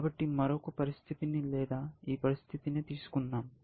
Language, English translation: Telugu, So, let me take another situation, or this one